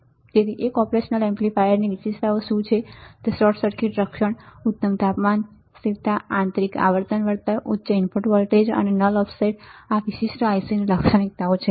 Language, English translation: Gujarati, So, what are the features of the single operation amplifier features are short circuit protection, excellent temperature stability, internal frequency compensation, high input voltage range and null of offset right these are the features of this particular I C